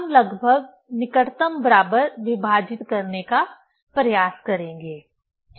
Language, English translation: Hindi, We will try to divide approximately, closest equal, ok